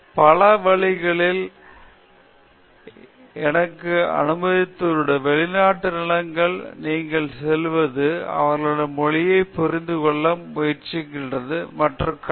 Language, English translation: Tamil, So, that allowed me to change in many ways I mean the perspective that you gain going to a foreign land, trying to understand their language, seeing how they do things, it changes you